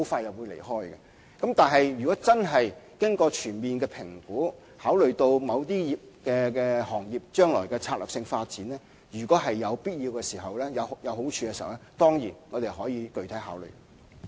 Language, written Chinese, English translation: Cantonese, 然而，在經過全面評估，並考慮到某些行業將來的策略性發展，如果有必要、有好處的話，我們當然會作具體考慮。, Yet after comprehensive assessment and consideration of the strategic development of certain industries in the future we will surely consider such arrangements if deemed necessary and capable of bringing benefits